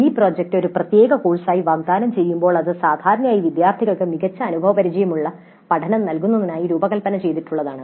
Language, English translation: Malayalam, Now when mini project is offered a separate course, it is generally designed to provide good experiential learning to the students